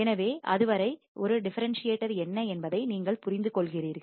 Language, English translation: Tamil, So, till then you understand what exactly is a differentiator